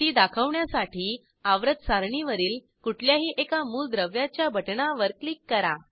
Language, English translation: Marathi, To display it, click on any element button on the periodic table